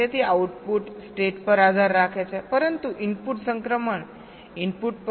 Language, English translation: Gujarati, the output depends on the state, but the input transition may depend on the input